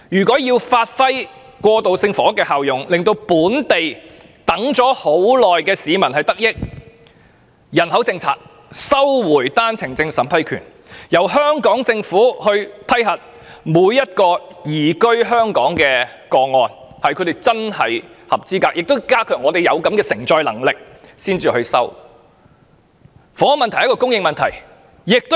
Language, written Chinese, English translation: Cantonese, 過渡性房屋要發揮效用，讓輪候已久的本地市民得益，政府便必須修訂人口政策，並收回單程證審批權，由香港政府審視每宗移居香港個案的申請是否真的符合資格，並必須顧及本港的承載力，才予以批准。, If the transitional housing scheme is to be effective and beneficial to the local people whose housing need is long overdue the Government must revise the population policy and get back the right of vetting and approving OWPs . The Hong Kong Government will examine whether each application for immigration to Hong Kong is indeed eligible and taking into account the societys capacity to bear before approval is granted